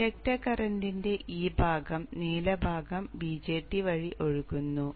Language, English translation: Malayalam, So this part of the inductor current, the blue part flows through the BJT